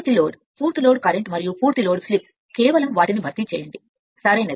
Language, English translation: Telugu, Full load your full load current and full load slip just replace by those things right